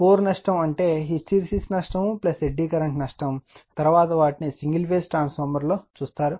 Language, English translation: Telugu, Core loss means hysteresis loss plus eddy current loss right, we will see later in the single phase transformer after this topic